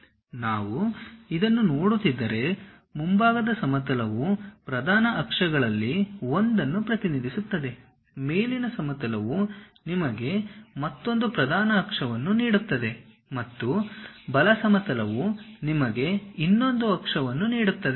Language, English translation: Kannada, If we are looking at this, the front plane represents one of the principal axis, the top plane gives you another principal axis and the right plane gives you another axis